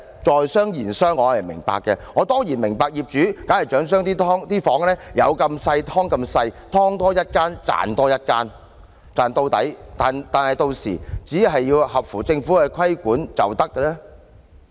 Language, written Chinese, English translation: Cantonese, 在商言商，我當然明白業主必然想將房間盡量"劏"到最細小，"劏"多一間，便可賺取多一間的金錢，把利潤賺盡，只要符合政府的規管要求便行。, Business is business . I certainly understand that landlords will inevitably try to make each subdivided unit as small as possible . If they can subdivide their flats into more units they will make more money from more units seeking the greatest possible profit as long as they can meet the regulatory requirements of the Government